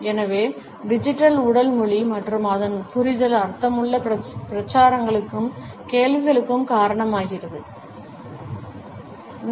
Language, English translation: Tamil, So, digital body language and its understanding results in meaningful campaigns and questions also